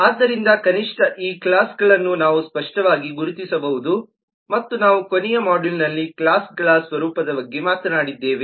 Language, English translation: Kannada, so at least these classes we can identify and we have talked about the nature of classes in the last module